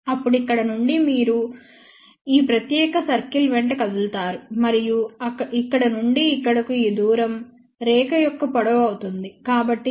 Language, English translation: Telugu, Then, from here now you move in this particular circle and this distance from here to here will be the length of the line